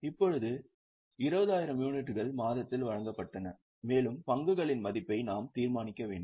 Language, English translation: Tamil, Now 20,000 units were issued during the month and we have to determine the value of closing stock